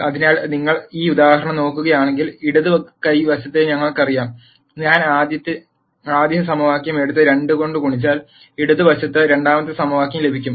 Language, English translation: Malayalam, So, if you take a look at this example, we know the left hand side, if I take the first equation and multiply it by 2 I get the second equation on the left hand side